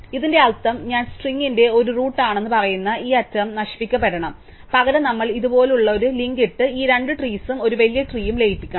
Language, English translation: Malayalam, So, what this means is that this edge which says that i is a root of the string has to be destroyed and instead we have to put a link like this and merge these two trees and to one larger tree